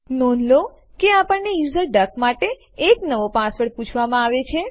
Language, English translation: Gujarati, Please note that we will be prompted for a new password for the user duck